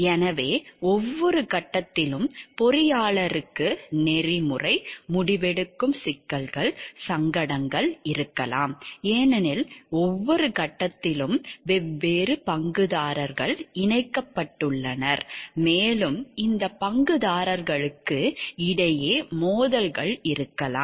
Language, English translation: Tamil, So, at each and every phase there could be ethical decisional issues dilemmas for the engineer, because at each of the stages there are different stakeholders who are connected and there could be conflict of interest between these track holders